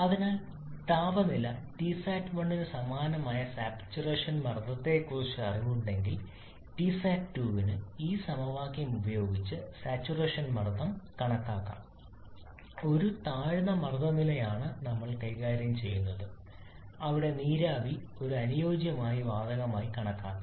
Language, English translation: Malayalam, So if we have knowledge about the saturation pressure corresponding temperature T sat 1 then for T sat 2 also we can calculate the saturation pressure using this equation as provided we are dealing with low pressure level where we can assume the vapour to be an ideal gas